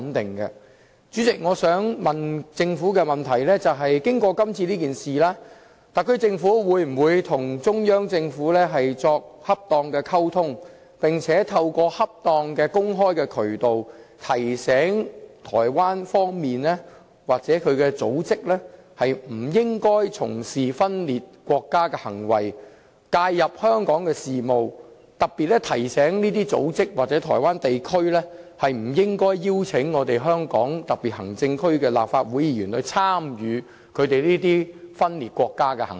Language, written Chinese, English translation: Cantonese, 代理主席，我想問政府，經過今次事件，特區政府會否跟中央政府作恰當溝通，並且透過恰當的公開渠道，提醒台灣方面的組織不應該從事分裂國家的行為，介入香港事務，特別提醒這些組織或台灣地區，不應該邀請香港特區的立法會議員參與他們這些分裂國家的行為？, Deputy President in the aftermath of this incident will the HKSAR Government seek to have appropriate communications with the Central Government? . And will it make use appropriate and open channels to remind those Taiwan organizations not engage in any acts of secession and interfere in Hong Kong affairs . In particular will it remind those Taiwan organizations that they should not invite Legislative Council Members of the HKSAR to participate in such acts of secession?